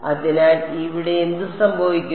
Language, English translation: Malayalam, So, what will happen over here